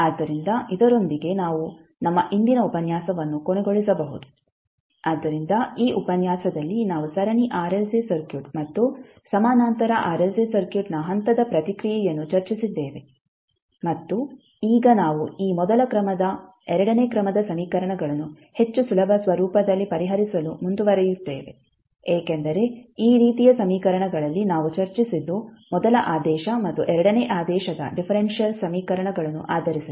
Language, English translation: Kannada, so with this we can close our today’s session, so in this session we discussed the step response for Series RLC Circuit as well as the Parallel RLC Circuit and now we will proceed forward to solve this first order second order equations in more easier format, because in this type of equations till know what we discussed was based on the differential equations those were first order and second order differential equations